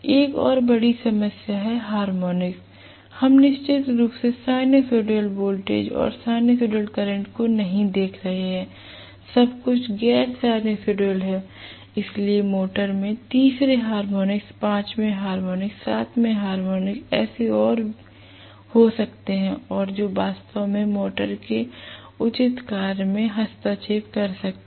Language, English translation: Hindi, This is definitely not a good option and one more major problem is harmonics, we definitely not looking at sinusoidal voltage or sinusoidal current, everything is non sinusoidal, so the motor can have third harmonic, fifth harmonic, seventh harmonic and so on and so fourth and which can really interfere with the proper working of the motor